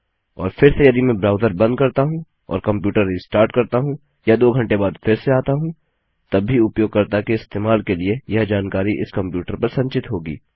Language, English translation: Hindi, And again if I close my browser or restart my computer or come back two hours later, this information will still be there stored on this computer ready to be used by this page